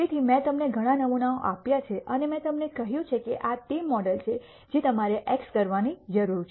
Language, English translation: Gujarati, So, I have given you several samples and I have told you that this is the model that you need to x